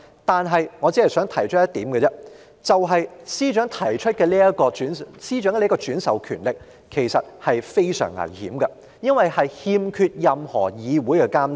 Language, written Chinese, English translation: Cantonese, 但我只想提出一點，就是司長獲轉授如此權力其實是相當危險的，因為它欠缺任何議會監察。, But I only wish to make a point that it is very dangerous to delegate such power to the Secretary for it is not subject to the monitoring of this Council